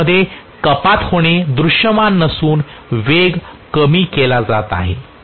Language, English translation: Marathi, Reduction in the torque is not visible but reduction in the speed